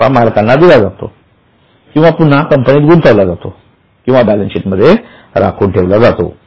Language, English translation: Marathi, That profit is either paid to owners or is plowed back or kept transferred back to balance sheet